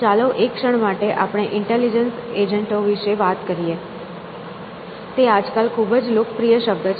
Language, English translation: Gujarati, So, let us talk about intelligence agents for a moment; it is a very popular term nowadays